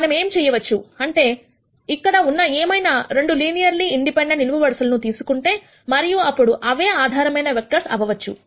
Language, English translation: Telugu, What we can do is, we can pick any 2 linearly independent columns here and then those could be the basis vectors